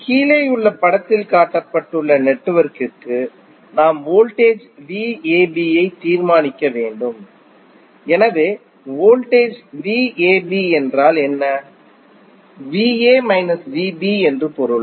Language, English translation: Tamil, For the network shown in the figure below we need to determine the voltage V AB, so voltage V AB means V A minus V B